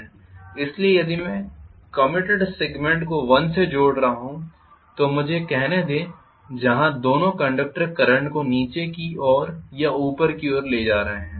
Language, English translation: Hindi, So if I am connecting commutator segment 1 like this let me look for where both conductors are carrying the current in either downward direction or upward direction